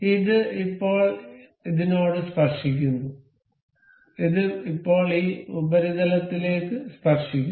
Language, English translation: Malayalam, This is now tangent to this, this is now tangent to this surface